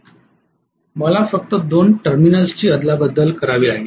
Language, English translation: Marathi, I have to just interchange two of the terminals